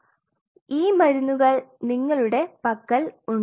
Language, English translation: Malayalam, So, you have these drugs now at your disposal